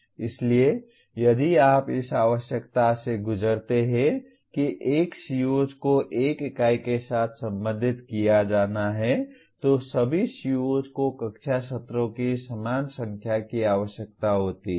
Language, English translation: Hindi, So if you go by the by requirement that one CO is to be associated with one unit then all COs are required to have the same number of classroom sessions